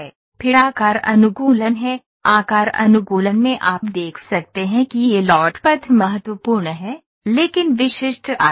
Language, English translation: Hindi, Then is shape optimisation, in shape optimization you can see that this is the load path criticality, but specific shape